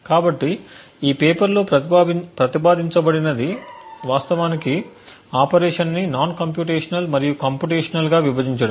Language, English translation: Telugu, So, what was proposed in the paper was to actually divide the type of operations into non computational and computational